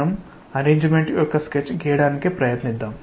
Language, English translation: Telugu, We will try to make a sketch of the arrangement